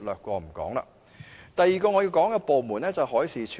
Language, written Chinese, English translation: Cantonese, 我要談的第二個部門是海事處。, The second department I wish to discuss is the Marine Department MD